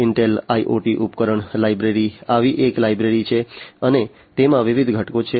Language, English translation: Gujarati, Intel IoT device library is one such library and there are different components in it